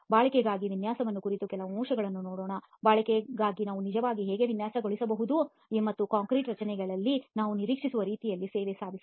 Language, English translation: Kannada, Let us look at some aspects on design for durability, how can we actually design for durability and achieve the kind of service that we expect in concrete structures